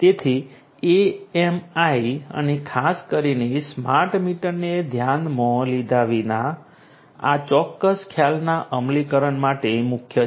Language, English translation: Gujarati, So, irrespective of that AMIs and particularly the smart meters are core to the implementation of this particular concept